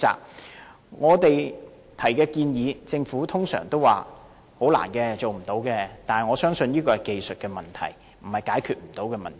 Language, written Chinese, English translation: Cantonese, 對於我們提出的建議，政府通常都回應說很困難和無法做到，但我相信這是技術問題，不是無法解決的問題。, As for our proposals the Government will more often than not say in response that their implementation would be difficult and impossible but I believe this is a technical problem not an unsolvable problem